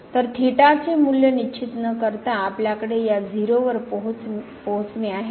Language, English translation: Marathi, So, without fixing the value of the theta, we have approach to this 0